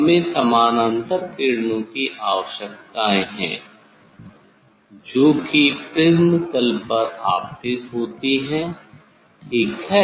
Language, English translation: Hindi, we need parallel rays incident on the prism face valid